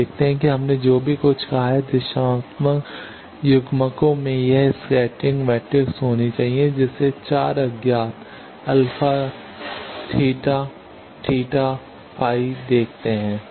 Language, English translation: Hindi, You see that whatever we have said, directional couplers should have this scattering matrix you see 4 unknowns alpha, beta, theta, phi